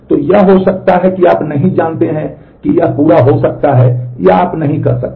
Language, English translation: Hindi, So, it may be you do not know whether it come could complete or you could not